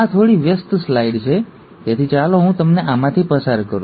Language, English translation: Gujarati, This is a little busy slide, so let me just walk you through this